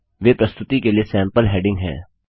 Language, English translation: Hindi, They are sample headings for the presentation